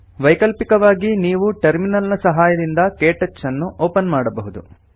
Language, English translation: Kannada, Alternately, you can open KTouch using the Terminal